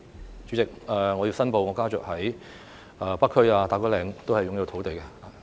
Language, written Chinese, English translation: Cantonese, 代理主席，我申報我家族在北區及打鼓嶺均擁有土地。, Deputy President I declare that my family owns land in the North District and Ta Kwu Ling